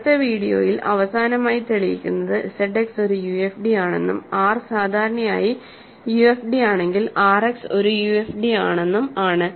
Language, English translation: Malayalam, So, in the next video, we will prove the prove finally, that Z X is a UFD and more generally if R is a UFD, R X is a UFD